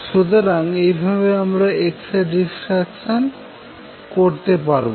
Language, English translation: Bengali, So, the way it was explained we are on x ray diffraction